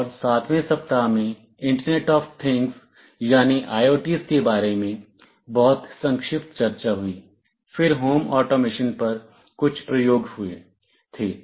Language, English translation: Hindi, And in week 7, there was a very brief discussion about internet of things , then there were some experiments on home automation